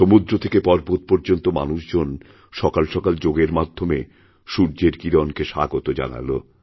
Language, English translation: Bengali, From the seashores to the mountains, people welcomed the first rays of the sun, with Yoga